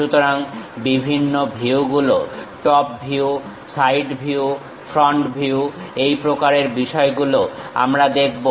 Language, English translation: Bengali, So, different views, top view, side view, front view these kind of things we will see